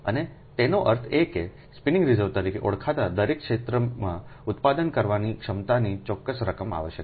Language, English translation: Gujarati, right, and that means a certain amount of generating capacity in each area, known as the spinning reserve, is required